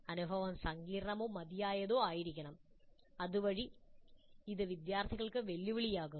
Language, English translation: Malayalam, The experience must be complex or difficult enough so that it challenges the students